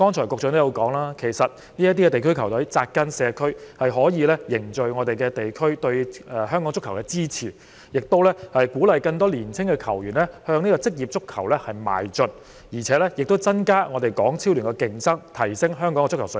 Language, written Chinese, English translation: Cantonese, 局長剛才說區隊扎根社區，可以凝聚地區對香港足球的支持，亦鼓勵更多青年球員向職業足球邁進，增加港超聯的競爭，提升香港的足球水平。, Just now the Secretary said that district teams have taken root in the community they can strengthen cohesion of the community in supporting football in Hong Kong encourage more young players to become professional players increase the competition in HKPL and improve the football standard of Hong Kong